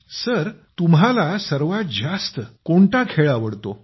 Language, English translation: Marathi, Which sport do you like best sir